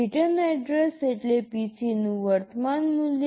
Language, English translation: Gujarati, Return address means the current value of PC